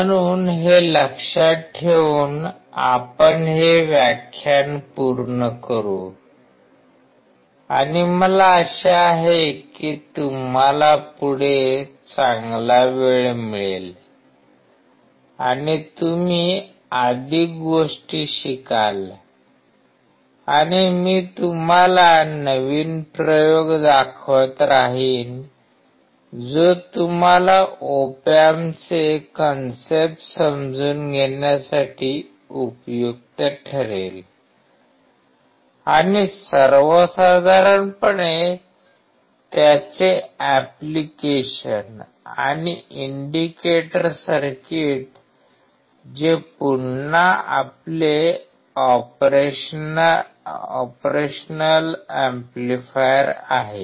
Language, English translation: Marathi, So, keeping this in mind, we will finish this lecture and I hope that you have a good time ahead and you learn more things and I keep on showing you new experiments which would be helpful for you to understand the concept of op amps and in general their applications and the indicator circuit which is again our operation amplifier